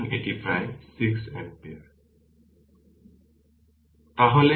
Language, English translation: Bengali, So, it is approximately 6 ampere